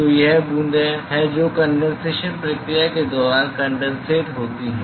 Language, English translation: Hindi, So, these are drops which nucleated during the condensation process